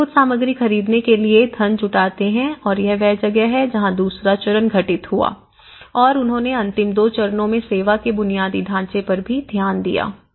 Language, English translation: Hindi, And they raise some funds together to for buying some materials and this is where the stage two have occurred and the stage two in the last stage when they are about to get so they looked into the service infrastructure as well